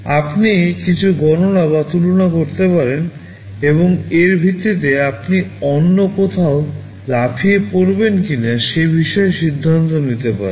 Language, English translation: Bengali, You can make some calculations or comparisons, and based on that you can take your decision whether to jump somewhere else or not